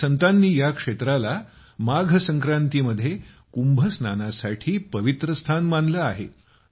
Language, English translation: Marathi, Many saints consider it a holy place for Kumbh Snan on Magh Sankranti